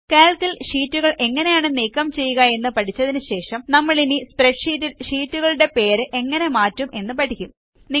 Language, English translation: Malayalam, After learning about how to delete sheets in Calc, we will now learn how to rename sheets in a spreadsheet